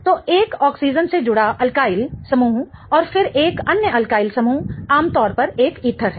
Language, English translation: Hindi, So, the alkene group attached to an oxygen and then another alkyl group is typically an ether